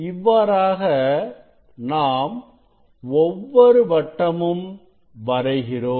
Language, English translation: Tamil, that way if you draw circles, if you draw circles